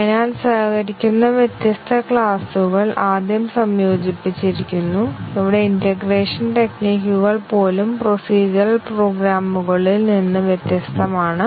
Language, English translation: Malayalam, So, different classes which collaborate are integrated first, even the integration strategies here are different from procedural programs